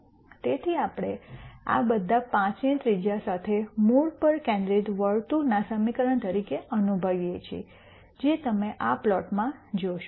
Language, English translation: Gujarati, So, this we all realize as equation of a circle centered at the origin with a radius of 5, which is what you see in this plot